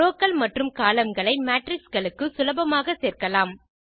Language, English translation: Tamil, Rows and columns can be easily appended to matrices